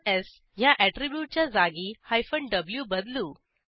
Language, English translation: Marathi, Let us replace the s attribute with w